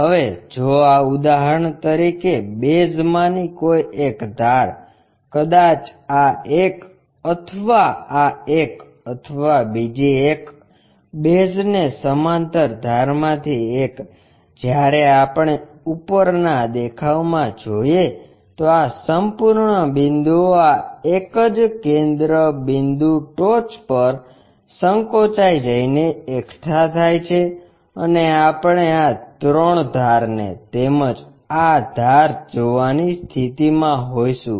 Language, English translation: Gujarati, Now, if one of the base edges for example, maybe this one or this one or the other one, one of the base edges parallel to; when we are looking from top view this entire point shrunk to this single point apex and we will be in the position to see this edges also those three edges